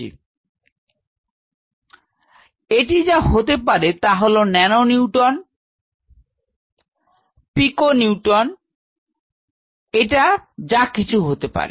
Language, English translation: Bengali, So, what is it could be nano Newton, it could be Pico Newton, it could be whatever